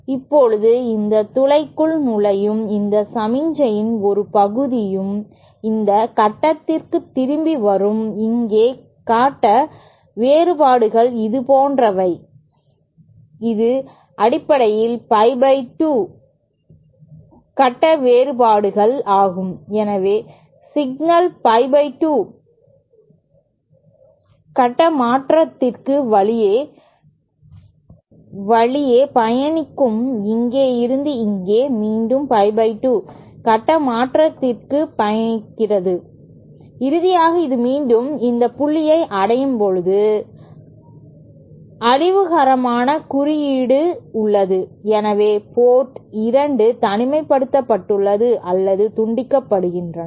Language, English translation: Tamil, And now a part of this signal entering this hole will also come back to this point and here the phase differences are such, this is basically pie by 2 phase difference, so the signal travels undergoes a phase change of pie by 2 while travelling from here to here and then again a phase change of pie by 2 and finally when it reaches back at this point, there is destructive interference and hence port 2 is isolated or decoupled